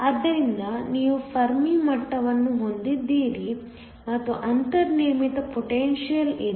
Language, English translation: Kannada, So, you have the Fermi levels lining up, and there is a built in potential